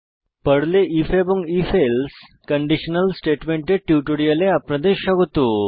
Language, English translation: Bengali, Welcome to the spoken tutorial on if and if else conditional statements in Perl